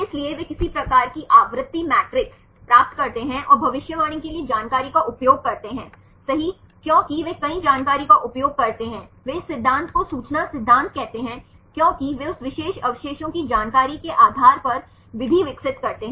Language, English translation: Hindi, So, they derive some sort of frequency matrices and use the information for prediction right because they use several information they call this theory as the information theory because they develop the method based on the information of that particular residue